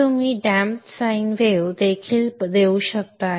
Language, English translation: Marathi, So you can give a damped sign wave also